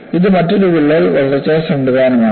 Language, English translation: Malayalam, This is another crack growth mechanism